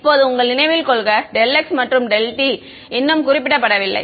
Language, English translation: Tamil, Now remember your delta x and delta t is yet to be specified right